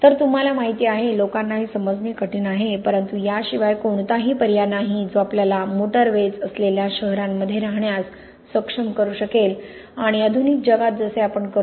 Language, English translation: Marathi, So you know, it is, it is difficult for people to understand this but there really is no alternative that can enable us to live in cities with motorways and everything like that as we do in the modern world